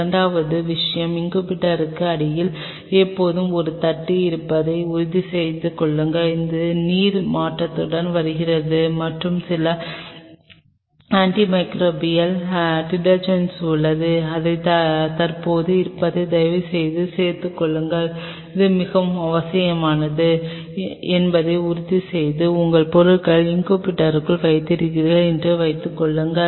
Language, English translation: Tamil, Second thing please ensure that the there is always a tray underneath the incubator, that water is being changed and there are certain antimicrobial detergents which are present you please add in that ensure that very essential, and suppose you are placing your stuff inside the incubator